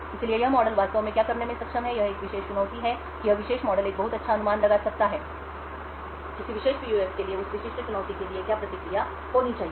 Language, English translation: Hindi, So what this model would be actually capable of doing is that given a particular challenge this particular model could create a very good estimate of what the response for a particular PUF should be for that specific challenge